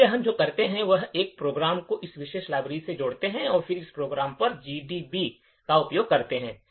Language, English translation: Hindi, So, what we do is that, create a program link it to this particular library and then use GDB on that program